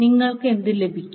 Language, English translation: Malayalam, What you get